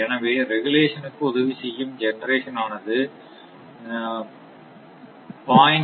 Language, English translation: Tamil, So, generation contributing to regulation is 0